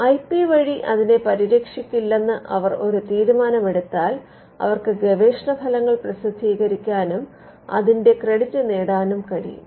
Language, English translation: Malayalam, So, if they take a call that they will not protect it by way of an IP, then they can publish the result research results and get the credit for the same